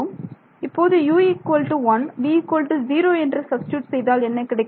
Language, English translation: Tamil, Now supposing I substitute u is equal to 0 v is equal to 0 what happens